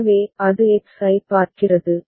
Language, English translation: Tamil, So, then it is looking at X